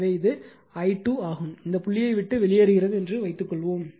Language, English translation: Tamil, So, this is actually i 2 this is taken like this right suppose it is leaving the dot